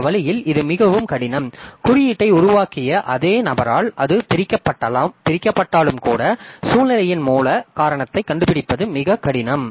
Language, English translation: Tamil, And even if it divide by, done by the same person who developed the code, it is very difficult often to find out the exact cause, the root cause of the situation